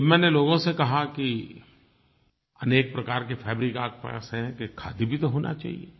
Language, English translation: Hindi, When I told people that you have so many different types of garments, then you should have khadi as well